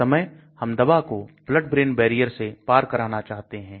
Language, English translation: Hindi, At that time we want the drugs to cross the blood brain barrier